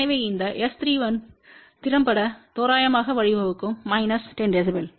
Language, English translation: Tamil, So, this S 3 1 effectively may lead to approximately minus 10 db